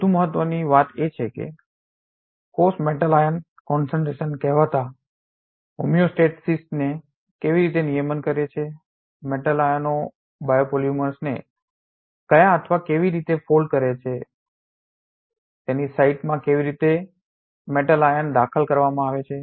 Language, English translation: Gujarati, More importantly how do cells regulate metal ion concentration so called homeostasis, what or how do the metal ions fold biopolymers, how is the correct metal ion inserted into its site